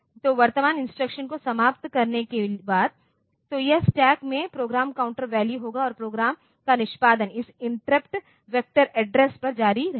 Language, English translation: Hindi, So, after that after finishing the current instruction, so it will be the program counter value into the stack and the program execution will continue at the interrupt vector address for that interrupt